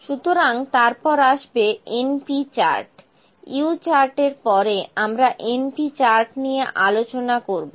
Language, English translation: Bengali, So, next comes np chart, the U chart will discuss the np chart